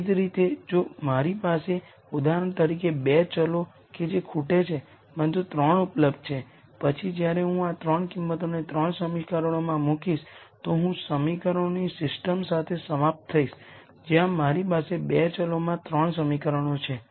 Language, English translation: Gujarati, Similarly if I have for example, 2 variables that are missing, but 3 are available then when I put these 3 values into the 3 equations I will end up with the system of equations where I have 3 equations in 2 variables